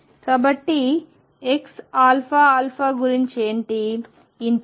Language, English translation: Telugu, So, what about x alpha alpha